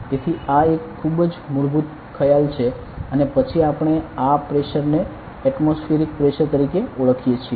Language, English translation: Gujarati, So, this is a very basic concept and then we call this pressure as atmospheric pressure